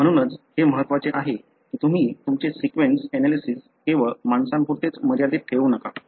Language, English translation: Marathi, That is why it is important that you do not just restrict your sequence analysis only with the human